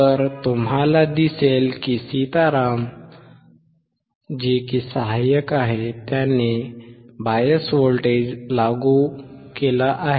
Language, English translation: Marathi, So, you will see that Sitaram is going to apply the bias voltage